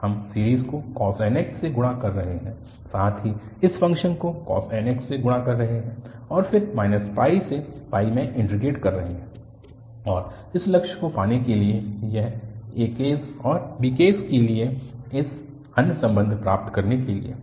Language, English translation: Hindi, We are multiplying the series by cos nx, also we are multiplying the function by cos nx and then integrating from minus pi to pi and to have this aim to get other relations for other aks and bks